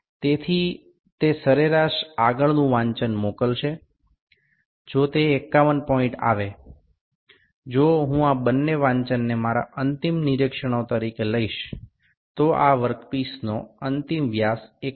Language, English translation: Gujarati, So, that average will send the next reading if it comes 51 point; if I take only these two readings as my final observations, the final dia of this work piece would be 51